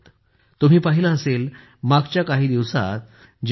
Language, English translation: Marathi, You must have seen, in the recent past, when the T